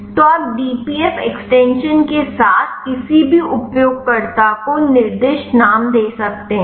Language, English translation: Hindi, So, you can give any user specified name with a dpf extension